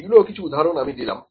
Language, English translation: Bengali, So, these are the few examples, ok